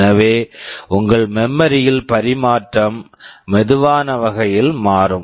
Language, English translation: Tamil, So, your memory transfer will become slower